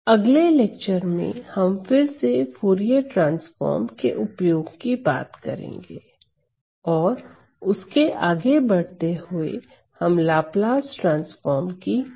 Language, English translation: Hindi, So, in the next lecture I am going to talk about again another application of Fourier transforms and further from moving from there onwards I am going to talk about Laplace transform